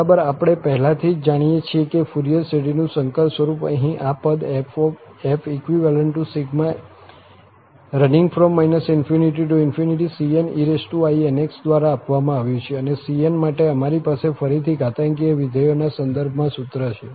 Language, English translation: Gujarati, Well, we know already, that the complex form of Fourier series is given by this term here, and minus infinity to plus infinity, cn e power inx, and for cn, we have the formula in terms of again exponential function